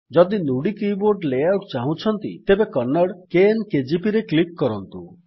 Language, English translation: Odia, If you want to Nudi keyboard layout, click on the Kannada – KN KGP